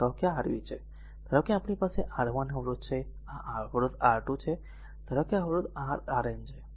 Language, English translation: Gujarati, Say, this is your v suppose we have a resistance R 1, you have a resistance R 2 , and suppose you have a resistance your Rn, right